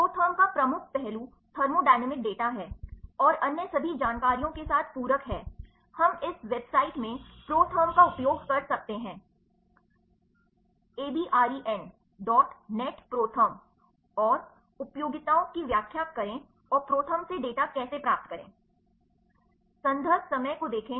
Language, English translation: Hindi, The major aspect of ProTherm is thermodynamic data and supplemented with all the other information, we can access ProTherm in this website, abren dot net ProTherm and, explain the utilities and how to retrieve data from ProTherm